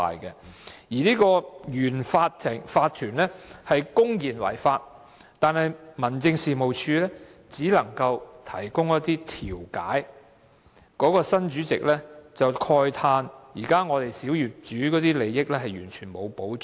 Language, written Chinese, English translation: Cantonese, 對於原有法團公然違法，民政事務處只可提供調解，新業主法團的主席慨嘆小業主的利益完全沒有保障。, Regarding the blatant violation of laws by the previous OC the District Office DO would only act as a mediator . The chairman of the new OC could only express regret that the interests of small property owners were not protected at all